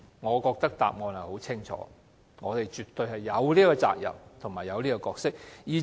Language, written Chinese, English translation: Cantonese, 我認為答案很清楚，便是我們絕對有責任和角色。, I think the answer is crystal clear and that is we absolutely have certain responsibility and role